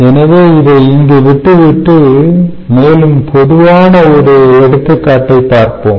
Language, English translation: Tamil, ok, so i will leave it here and we will take up a more generic case